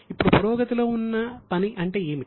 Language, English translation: Telugu, Now what is meant by work in progress